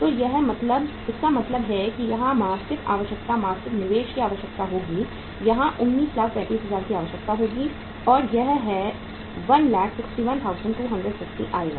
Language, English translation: Hindi, So it means monthly requirement here will be monthly investment requirement here will be 19,35,000 and that will work out as 1,61,250